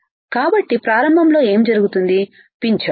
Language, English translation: Telugu, So, what will happen early pinch off